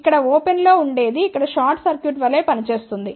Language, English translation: Telugu, Open over here will act as a short circuit